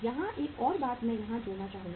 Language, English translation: Hindi, Here one more thing I would add here